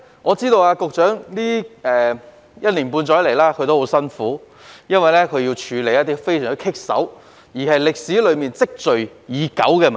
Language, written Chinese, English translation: Cantonese, 我知道局長在這一年半載以來十分辛苦，要處理一些非常棘手且存在已久的問題。, I know that in the past six months or almost a year the Secretary has been working very hard to tackle some thorny and long - standing problems